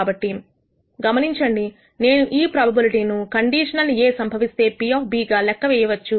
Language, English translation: Telugu, So, notice that I can compute this probability conditional probability of B given A